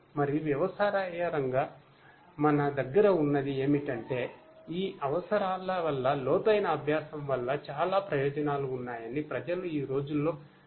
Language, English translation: Telugu, And consequently what we have is that together people have realized nowadays that deep learning has lot of benefits because of these necessities